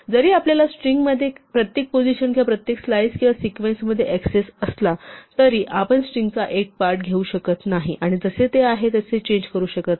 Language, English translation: Marathi, Though we have access to individual positions or individual slices or sequences within a string, we cannot take a part of a string and change it as it stands